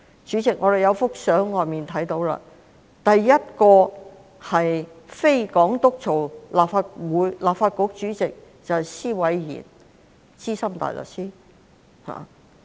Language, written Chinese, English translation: Cantonese, 主席，我們可以從門外的照片看到，首位由非港督擔任的立法局主席是施偉賢資深大律師。, Chairman we can see from the photos outside the Chamber that the first President of the Legislative Council who was not the Governor was senior barrister John SWAINE